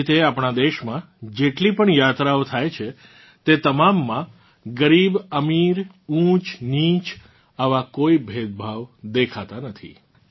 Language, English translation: Gujarati, Similarly, in all the journeys that take place in our country, there is no such distinction between poor and rich, high and low